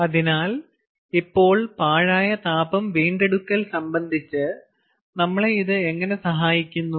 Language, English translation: Malayalam, yeah, so now how does this help us with respect to waste heat recovery